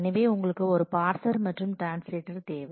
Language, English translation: Tamil, So, you need a parser and translator